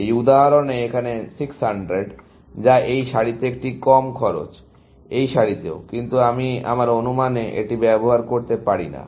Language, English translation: Bengali, That something, in this example, is 600 here, which is a low cost in this row, also in this row, but I cannot use it in my estimates